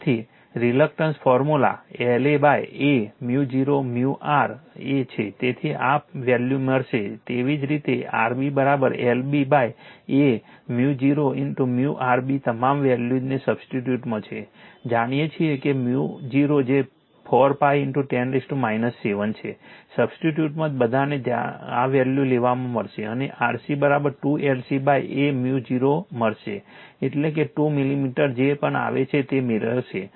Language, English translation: Gujarati, So, reluctance formula L A upon A mu 0 mu r A so, you will get this value similarly R B is equal to L B upon A mu 0 mu R B substitute all the values right, mu 0 you know 4 pi into 10 to the power minus 7, you substitute all you will get these value and R C will get 2 L C upon a mu 0 right, that is your what will get that is your whatever it comes that 2 millimeter